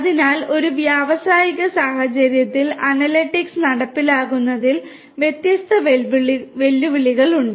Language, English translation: Malayalam, So, there are different challenges in implementing analytics in an industrial scenario